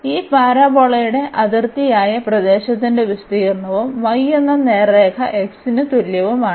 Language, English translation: Malayalam, This is the area of the region bounded by this parabola and the straight line y is equal to x